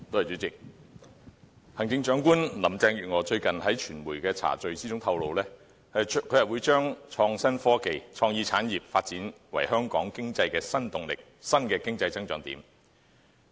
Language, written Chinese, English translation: Cantonese, 主席，行政長官林鄭月娥最近在傳媒茶敍中透露，將會把創新科技和創意產業發展為香港經濟的新動力、新的經濟增長點。, President in a recent media reception Chief Executive Carrie LAM disclosed that innovation and technology and creative industries will be developed as a new impetus and new point of growth for Hong Kong economy